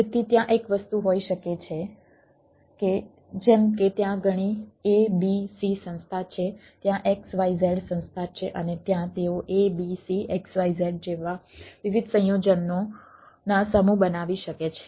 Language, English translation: Gujarati, there can be one thing that, like there are several abc organization there, x, y, z organization and there can they can form different set of combinations